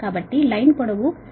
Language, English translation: Telugu, line length is one sixty kilo meter